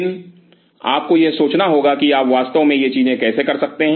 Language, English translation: Hindi, But you have to think how you really can make these things happen